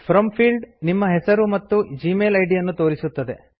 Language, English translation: Kannada, The From field, displays your name and the Gmail ID